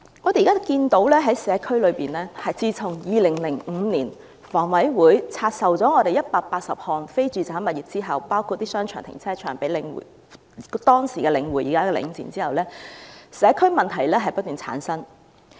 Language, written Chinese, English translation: Cantonese, 我們現在看到在社區內，自從香港房屋委員會在2005年拆售了180項非住宅物業——包括商場和停車場——給當時的領匯，即現時的領展後，社區問題不斷叢生。, We can now see in the community that since the Hong Kong Housing Authority has divested 180 non - residential properties including shopping arcades and car parks to the then The Link Real Estate Investment Trust in 2005 problems have successively arisen in the community